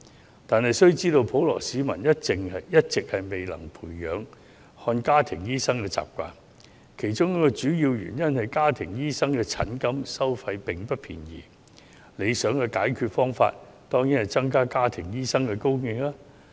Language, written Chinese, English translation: Cantonese, 不過，大家須知道，普羅市民一直未能養成看家庭醫生的習慣，其中一個主要原因是家庭醫生的收費不便宜，而理想的解決方法當然是增加家庭醫生的供應。, However we need to know that the general public have not been developing a habit of seeing family doctors and one of the main reasons is the expensive charges for consulting family doctors . The desirable solution is of course to increase the supply of family doctors